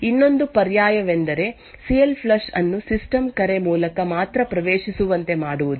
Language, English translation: Kannada, Another alternative is to make CLFLUSH accessible only through a system call